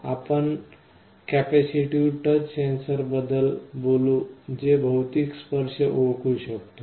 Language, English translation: Marathi, First let us talk about capacitive touch sensor that can detect physical touch